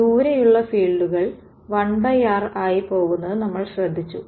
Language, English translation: Malayalam, And we noticed that far away the fields go as 1 by r ok